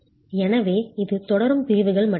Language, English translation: Tamil, So it's just continuing sections